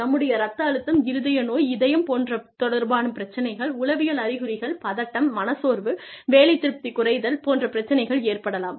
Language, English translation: Tamil, There could be, chances of cardiovascular disease, heart disease, psychological symptoms, anxiety, depression, decreased job satisfaction